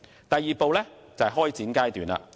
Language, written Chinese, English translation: Cantonese, 第二步為開展階段。, The second step is the commencement stage